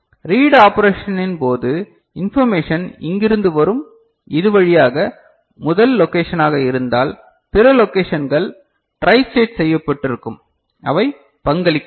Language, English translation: Tamil, And during the reading operation information will come from here, through here if it is the first location and then other locations are tristated so, they are not contributing ok